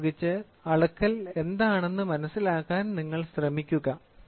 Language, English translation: Malayalam, With this we try to see will try to understand what is measurement